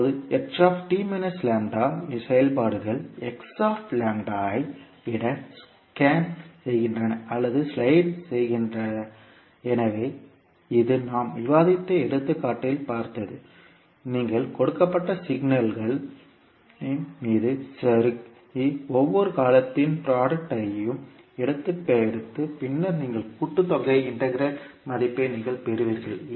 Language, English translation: Tamil, Now the functions h t minus lambda scans or slides over h lambda, so this what we saw in the example which we were discussing that when you slide over the particular given signal and you take the product of each and every term and then you sum it up so that you get the value of integral